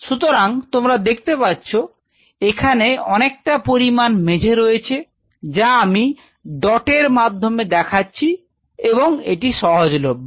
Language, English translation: Bengali, So, you see you have a huge amount of floor area which is I am putting dots this floor area is all available